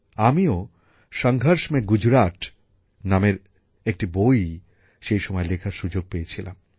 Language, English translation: Bengali, I had also got the opportunity to write a book named 'Sangharsh Mein Gujarat' at that time